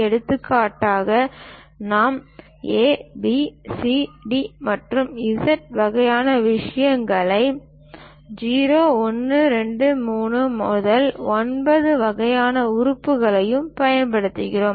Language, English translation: Tamil, For example, we use capital letters A, B, C, D to Z kind of things and 0, 1, 2, 3 to 9 kind of elements